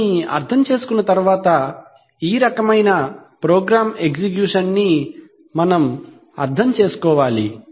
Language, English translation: Telugu, Having understood that, we have to understand that, this kind of a program execution